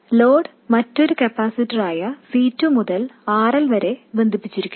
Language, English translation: Malayalam, And the load is connected through another capacitor C2 to RL